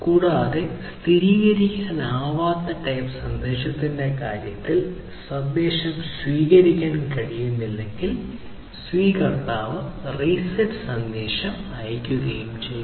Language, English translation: Malayalam, And, in case of non confirmable type message the recipient sends the reset message if it cannot process the message